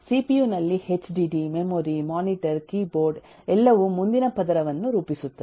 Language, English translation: Kannada, in cpu, hdd memory, mmm, monitor, keyboard all make up the next layer